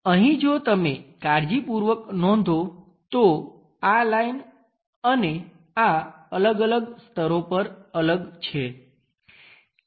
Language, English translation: Gujarati, Here if you are noting carefully, this line and this one are different at different layers